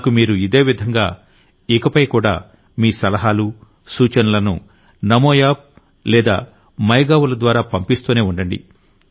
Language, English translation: Telugu, Similarly, keep sending me your suggestions in future also through Namo App and MyGov